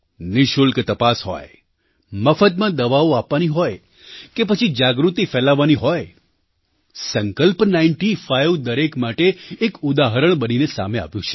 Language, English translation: Gujarati, Be it free medical tests, distribution of free medicines, or, just spreading awareness, 'Sankalp Ninety Five' has become a shining beacon for everyone